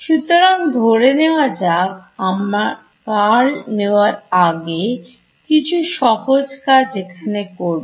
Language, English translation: Bengali, So, let us before we actually take the curl is do some simple sort of things over here